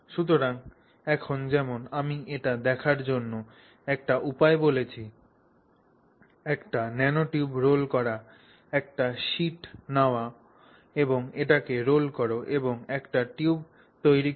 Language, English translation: Bengali, So, now as I said one way to look at it, look at a nanotube is to roll, take a sheet like this and roll it around and form a tube